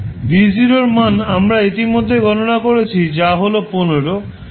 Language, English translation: Bengali, V0 we have calculated already that is 15